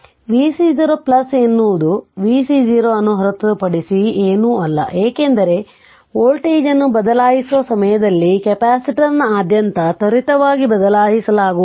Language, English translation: Kannada, So, v c 0 plus is nothing but the v c 0 minus, because at the time of switching the voltage cannot be change instantaneously across the capacitor right